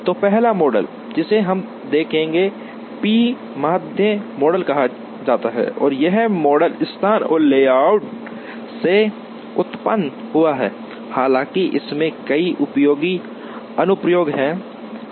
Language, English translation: Hindi, So, the first model that we will see is called the p median model and this model originated from location and layout, though this has several useful applications